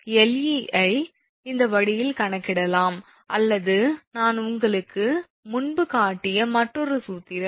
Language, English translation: Tamil, So, Le can be calculated this way or another formula I showed you just before right